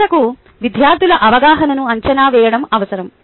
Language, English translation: Telugu, finally, assessment of the student understanding needs to be done